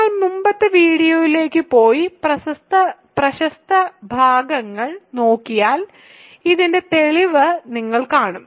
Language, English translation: Malayalam, So, if you go back to the previous video and just look at the relevant parts you will see a proof of this